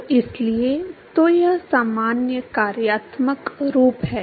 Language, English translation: Hindi, So therefore, so this is the general functional form